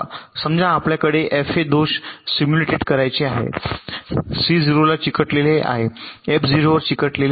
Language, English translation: Marathi, suppose we want to simulated these four faults: c, stuck at zero, f stuck at zero, e stuck at zero, e stuck at one